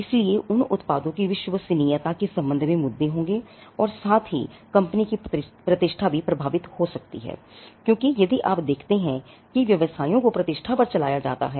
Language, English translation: Hindi, So, they will be issues with regard to reliability of those products and also, the company’s reputation can get affected, because if you see businesses are run on reputation